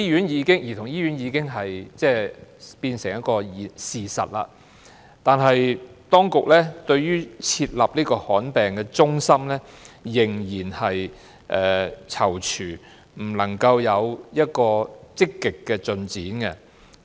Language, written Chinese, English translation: Cantonese, 兒童醫院已經落成，但當局對於設立罕見疾病中心仍然在躊躇，這方面沒有積極的進展。, The construction of the Childrens Hospital has been completed but as the authorities still hesitate over the establishment of a centre for rare diseases no active progress has been made in this respect